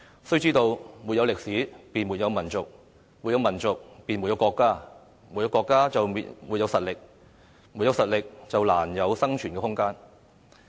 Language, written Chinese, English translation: Cantonese, 需知道，沒有歷史，便沒有民族；沒有民族，便沒有國家；沒有國家，便沒有實力；沒有實力，便難有生存的空間。, Without history there is no nation; without a nation there is no country; without a country there is no strength; without strength there is hardly room for survival